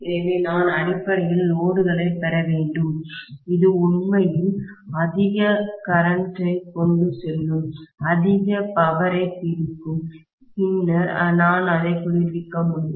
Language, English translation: Tamil, So I have to essentially get load which will actually carry so much of current and it will dissipate so much of power, then I should be able to cool it, right